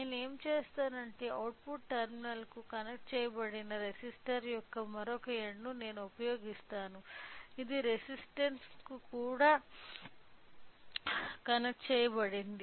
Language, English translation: Telugu, So, what I will do is that I will use the either the other end of the resistor connected to the output terminal which we are feedback resistance is also connected